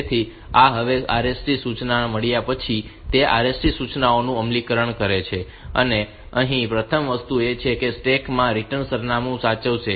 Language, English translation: Gujarati, So, this is the now, it is the execution of the RST instructions upon getting the RST instruction the first thing is that it will be saving the return address into the stack